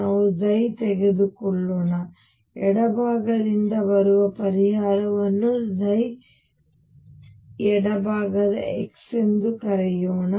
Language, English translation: Kannada, We said let us take psi let me call the solution coming from the left side as psi left x